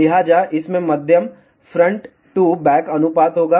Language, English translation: Hindi, So, it will have a medium front to back ratio